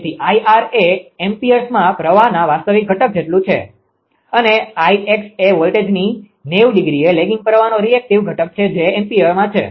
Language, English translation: Gujarati, So, I r is equal to real component of current in amperes and I x is equal to the reactive component of current lagging the voltage by 90 degree it is ampere right